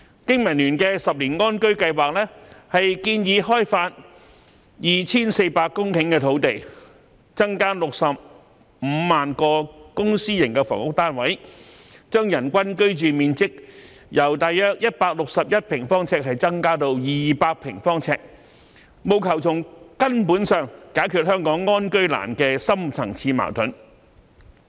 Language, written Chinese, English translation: Cantonese, 經民聯的10年安居計劃，建議開發 2,400 公頃土地，增加65萬個公私營房屋單位，將人均居住面積由約161平方呎增至200平方呎，務求從根本解決香港安居難的深層次矛盾。, BPAs 10 - year housing plan proposes to develop 2 400 hectares of land increase the number of public and private housing units by 650 000 and increase the per capita living space from 161 sq ft to 200 sq ft with a view to solving the deep - seated housing problem in Hong Kong at root